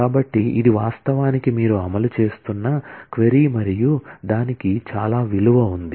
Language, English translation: Telugu, So, this is actually the query that, you are executing and that has a lot of value